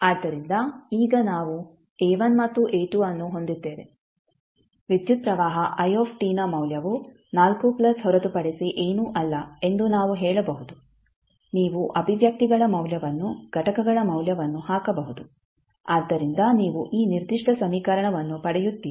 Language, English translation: Kannada, So now we have A1 and A2 we can simply say the value of current i t is nothing but 4 plus you can put the value of the expressions, value of the components so you get this particular equation